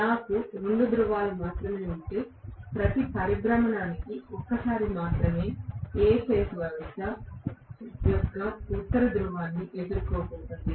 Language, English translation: Telugu, If I have only two poles I am going to have for every revolution only once A phase is going to face the no north pole of the system